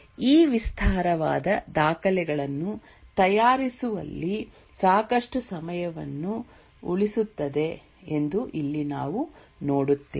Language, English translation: Kannada, Here we will see that it does away in preparing these elaborate documents and saves lot of time